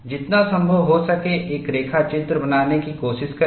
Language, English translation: Hindi, Try to make a sketch, as closely as possible